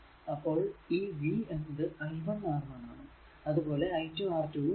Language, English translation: Malayalam, So, that means, your v 1 is equal to i into R 1 and v 2 is equal to i into R 2